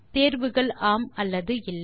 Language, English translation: Tamil, Yes or No are the options